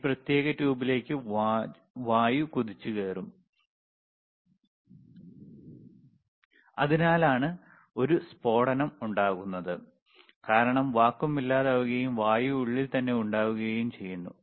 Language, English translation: Malayalam, It will, tThe air will rush into this particular tube and that is why there is a blast, suddenly you see there is a blast, is blasted because the vacuum is gone and air is there within